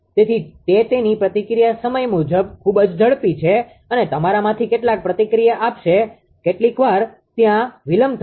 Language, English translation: Gujarati, So, that is his his reaction time is very fast and some of you will react in sometimes some delay will be there